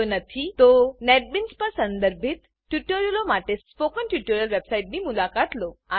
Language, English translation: Gujarati, If not, then please visit the Spoken Tutorial website for relevant tutorials on Netbeans